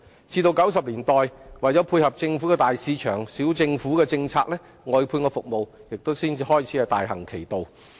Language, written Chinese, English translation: Cantonese, 至1990年代，為配合政府的"大市場、小政府"政策，外判服務才開始大行其道。, It was only until the 1990s that service outsourcing started to grow in prevalence to cope with the Governments policy of big market small government